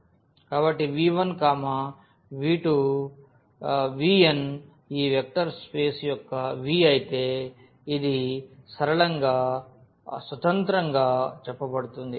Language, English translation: Telugu, So, v 1, v 2, v 3, v n of this vector space V this is said to be linearly independent